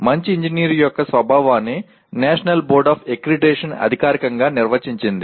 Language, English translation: Telugu, And the nature of good engineer is defined officially by the National Board of Accreditation